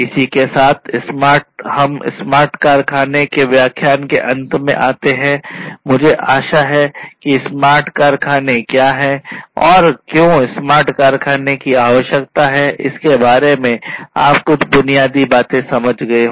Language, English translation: Hindi, So, with this we come to an end of the lecture on smart factory, I hope that by now you have some basic understanding about what smart factory is, and why smart factories are required, and what are the essential constituents of a smart factory